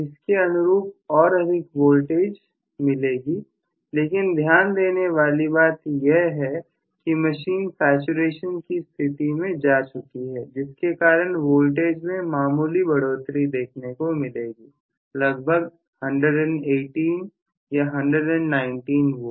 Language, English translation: Hindi, Now, corresponding to this I am going definitely have a higher voltage but please note I have already attained close to saturation because of which the voltage has increased only slightly may be 118 or 119 V